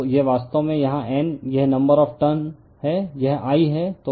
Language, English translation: Hindi, So, this is actually here it is number of turns is N, it is I right